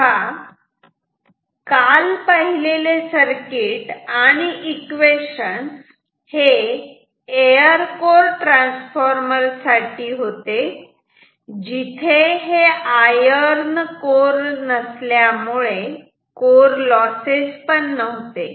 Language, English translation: Marathi, So, the equations that you have developed yesterday and this circuit this is for an air core transformer which has no iron core, no core loss